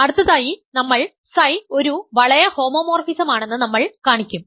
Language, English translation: Malayalam, Next, we will show that psi is a ring homomorphism